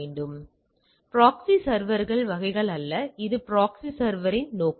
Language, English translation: Tamil, So, it is not the proxy server types it is rather purposes of the proxy server